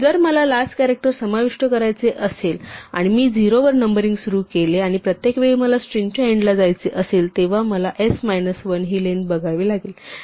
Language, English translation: Marathi, If I had to include the last character and if I start numbering at 0, then every time I wanted to go to the end of the string I would have to say length of s minus 1